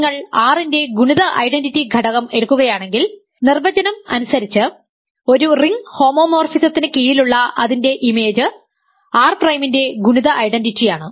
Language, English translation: Malayalam, So, I am writing this just for clarity, if you take the multiplicative identity element of R, its image under a ring homomorphism by definition is the multiplicative identity of R prime